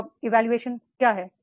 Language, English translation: Hindi, What is job evaluation